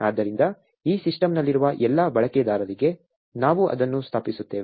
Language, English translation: Kannada, So, we will be in installing it for all users on this system